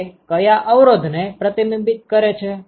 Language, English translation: Gujarati, What resistance does it reflect